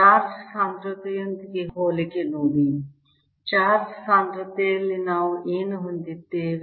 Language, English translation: Kannada, see the similarity with similarity with charge density in charge density